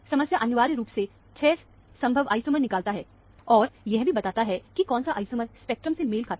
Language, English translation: Hindi, The problem is essentially to identify, of the 6 possible isomers, which one of the isomer, the spectrum correspond to, that is the problem